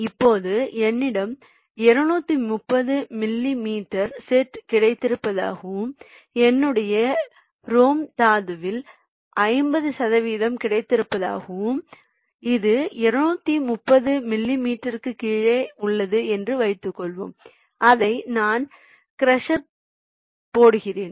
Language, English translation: Tamil, now, say, suppose i have got a set of two hundred thirty millimeter and i have got around fifty percent of my rom ore which is below to thirty millimeter and i am feeding that into the crusher, so unnecessary